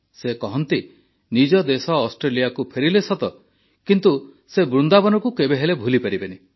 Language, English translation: Odia, She says that though she returned to Australia…came back to her own country…but she could never forget Vrindavan